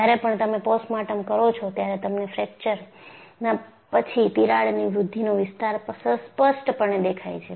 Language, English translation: Gujarati, When you do postmortem, you would see distinctly a crack growth region followed by fracture